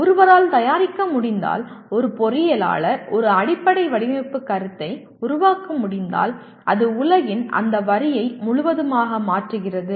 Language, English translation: Tamil, If one can produce, if an engineer can produce a fundamental design concept it just changes that line of world completely